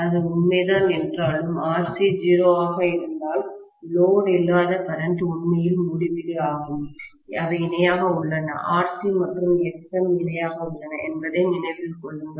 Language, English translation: Tamil, But although that is true if I have RC to be 0, the no load current will literally become infinity, they are in parallel, remember that, RC and Xm are in parallel